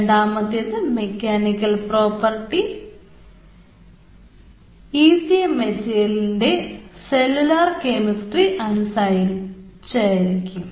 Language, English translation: Malayalam, second, the mechanical property is the function of cellular chemistry, of the ecm material